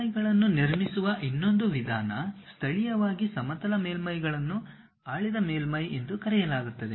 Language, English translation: Kannada, The other way of constructing surfaces, it locally looks like plane surfaces are called ruled surfaces